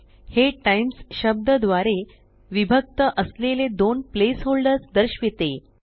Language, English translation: Marathi, It shows two place holders separated by the word Times